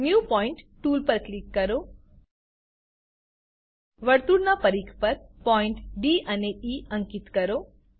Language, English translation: Gujarati, Click on new point tool, mark points D and E on the circumference of the circle